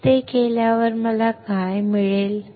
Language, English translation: Marathi, When I do that what I will get